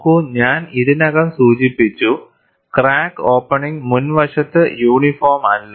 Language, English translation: Malayalam, See, I have already mentioned, the crack opening is not uniform along the front